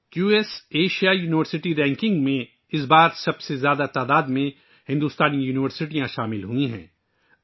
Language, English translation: Urdu, This time the highest number of Indian universities have been included in the QS Asia University Rankings